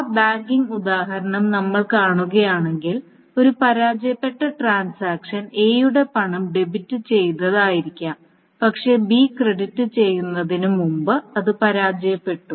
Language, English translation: Malayalam, So what is an example if we see that banking example back and failure transaction may be that A's money has been debited but before B's has been credited it has failed